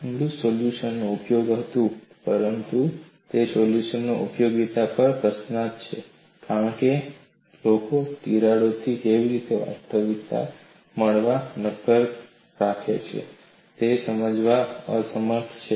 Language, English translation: Gujarati, So, that is a paradox the Inglis solution was useful, but utility of that solution is question, because people are unable to explain how actual structures reminds solid with cracks